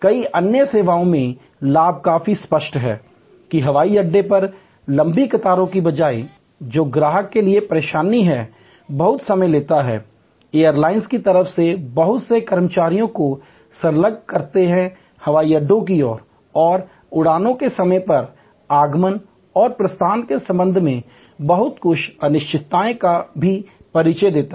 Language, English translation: Hindi, Advantages in many other services are quite clear, that instead of long queues at the airport, which is irritating for the customer, takes a lot of time, engages lot of employees from the airlines side, airport side and also introduces some uncertainties with respect to timely arrival and departure of flights